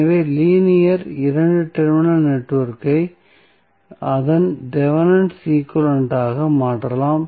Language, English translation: Tamil, So, linear 2 terminal network can be replaced by its Thevenin equivalent